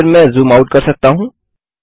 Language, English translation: Hindi, Then I can zoom out